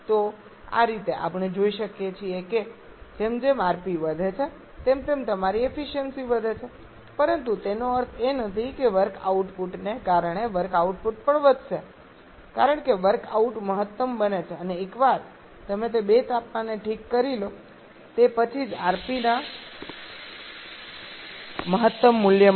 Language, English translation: Gujarati, So this way we can see that as rp increases your efficiency increases but that does not mean that work output is also increased because of work out becomes maximum and only for an optimum value of rp once you are fixing that 2 temperatures